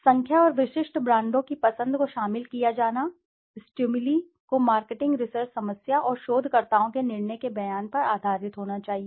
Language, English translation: Hindi, The choice of the number and specific brands are stimuli to be included should be based on the statement of the marketing research problem, and the judgement of the researcher